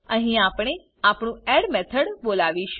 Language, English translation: Gujarati, Here we call our add method